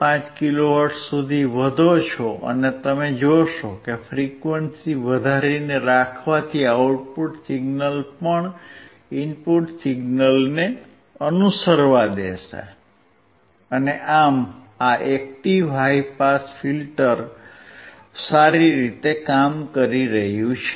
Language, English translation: Gujarati, 5 kilo hertz, and you will see that keep keeping increasing the frequency will also allow the output signal to follow the input signal, and thus, this active high pass filter is working well